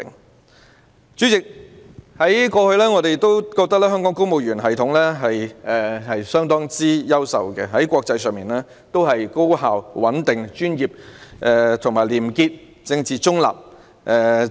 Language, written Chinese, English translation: Cantonese, 代理主席，我們過去認為，香港的公務員系統相當優秀，給予國際社會的印象是高效、穩定、專業、廉潔和政治中立。, Deputy President in the past we considered that the civil service in Hong Kong was very outstanding and the international community was impressed by its high efficiency stability professionalism probity and political neutrality